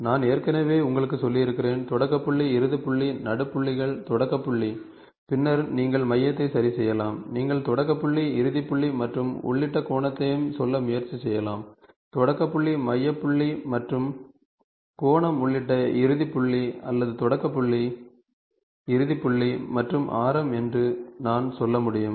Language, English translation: Tamil, So, arc I have already told you, start point, end point, mid points, start point, end point and then you can fix the centre, you can also try to say start point, end point and the angle of including and this is start point, end point where I have said the start point, centre point and the angle included or I can say start point, end point and the radius